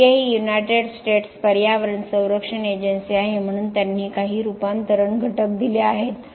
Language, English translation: Marathi, The EPA is the United States environment protection agency so they have given some conversion factors